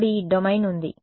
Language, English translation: Telugu, Outside the domain